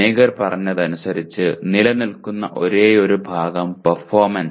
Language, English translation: Malayalam, The only part as per Mager that stays is performance